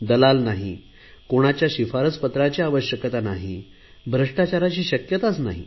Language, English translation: Marathi, No middlemen nor any recommendation, nor any possibility of corruption